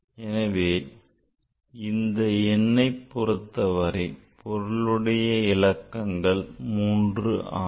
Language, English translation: Tamil, So, here this all number have significant figure is 3